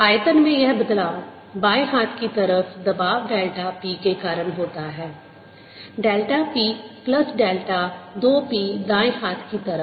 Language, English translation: Hindi, this change in volume is caused by the special delta p on the left side, delta p plus delta two p on the right hand side